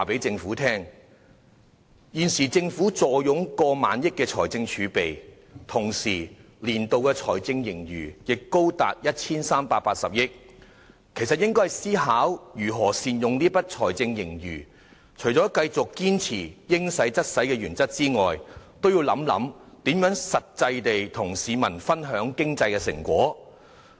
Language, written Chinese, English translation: Cantonese, 政府現時坐擁過萬億元財政儲備，年度財政盈餘也高達 1,380 億元，理應思考如何善用財政盈餘，除了繼續堅守"應使則使"的原則外，也應想想如何與市民分享經濟成果。, With more than 1,000 billion in fiscal reserves and a fiscal surplus as much as 138 billion the Government ought to consider ways to optimize the fiscal surplus . Besides adhering to the principle of committing resources as and when needed the Government should also consider ways to share with the public the fruits of economic development